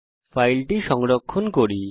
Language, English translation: Bengali, Let us now save the file